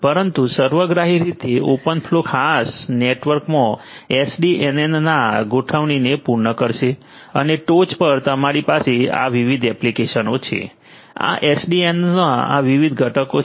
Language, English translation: Gujarati, But holistically open flow as a whole will cater to the configuration of SDN in a particular network and on the top you have these different applications so, these are these different components of SDN